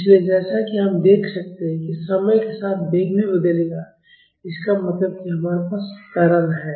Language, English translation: Hindi, So, as we can see the velocity will also change in time, that means, we have acceleration